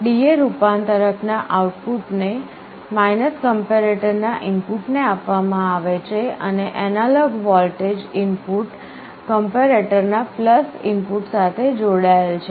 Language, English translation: Gujarati, The D/A converter output is fed to the input of the comparator, and the analog voltage input is connected to the + input of the comparator